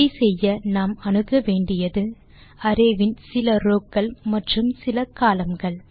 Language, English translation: Tamil, To do this, we need to access, a few of the rows and a few of the columns of the array